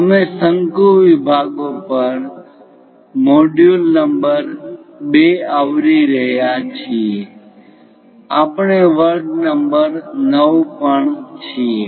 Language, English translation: Gujarati, We are covering module number 2 on Conic sections, we are at lecture number 9